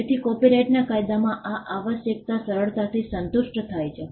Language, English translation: Gujarati, So, this requirement in copyright law is easily satisfied